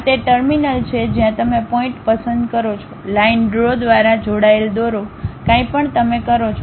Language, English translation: Gujarati, This is the terminal where you pick the point, draw connected by line draw anything you will do it